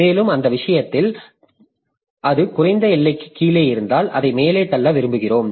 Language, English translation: Tamil, And if it is below the lower bound in that case we want to push it up, okay